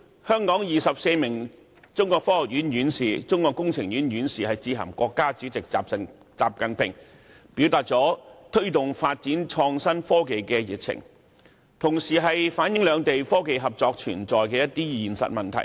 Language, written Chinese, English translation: Cantonese, 香港24名中國科學院院士、中國工程院院士早前致函國家主席習近平，表達他們對推動創新科技發展的熱情，同時也反映兩地在科技合作方面，面對的一些實際問題。, Earlier 24 Hong Kong members of the Chinese Academy of Sciences and the Chinese Academy of Engineering wrote a letter to President XI Jinping expressing their passion for promoting IT development and explaining the practical problems plaguing the technological cooperation between the two places